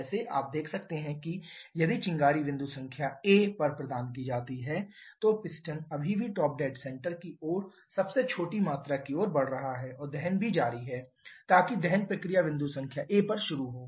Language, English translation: Hindi, Like as you can see if the spark is provided set point number a then the piston is still moving towards the smallest volume towards the top dead center and also combustion also continuing along that so the combustion process starts at point number a